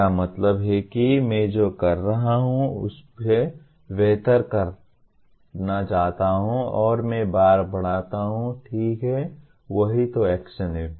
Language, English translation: Hindi, That means I want to do better than what I have been doing and I raise the bar okay that is what action is